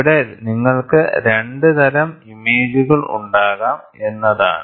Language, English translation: Malayalam, So, here what happens is you can have 2 types of images